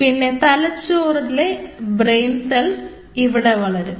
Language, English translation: Malayalam, the brain cells are growing in that location